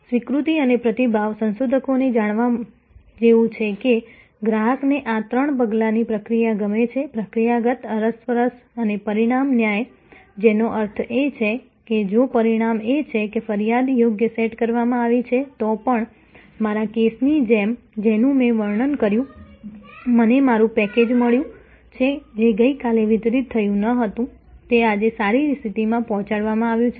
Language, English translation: Gujarati, The acceptance and response, researchers are found, the customer's like these three step process, procedural, interactional and outcome justice, which means that, even if the outcome is that the complaint has been set right, like in my case, the case I was describing, I have got my package, which was not delivered yesterday, it has been delivered today and in good condition